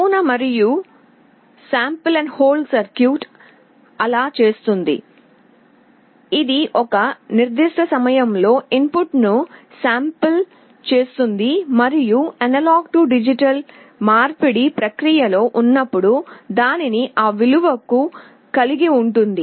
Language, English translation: Telugu, The sample and hold circuit does just that; it samples the input at a particular time and holds it to that value while A/D conversion is in process